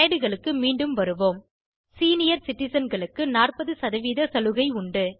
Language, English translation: Tamil, I have return to the slides, Senior citizens gets about 40% discount